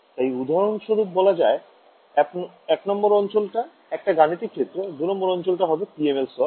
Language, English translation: Bengali, So, for example, region 1 could be our computational domain, region 2 could be the PML layer ok